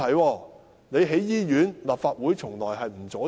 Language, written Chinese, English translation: Cantonese, 政府要興建醫院，立法會從來不會阻止。, The Legislative Council will never stonewall any of the Governments hospital construction projects